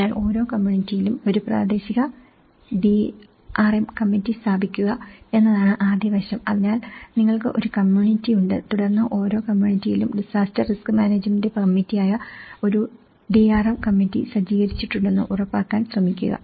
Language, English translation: Malayalam, So, the first aspect is establish a local DRM committee in each community so, you have a community and then you try to make sure that you set up a DRM committee, the disaster risk management committee in each community